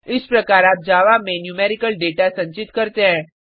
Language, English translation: Hindi, This is how you store numerical data in Java